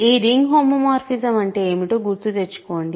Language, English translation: Telugu, Remember, what is this ring homomorphism